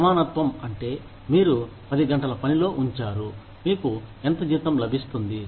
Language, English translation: Telugu, Equality means, you put in 10 hours of work, you get, this much salary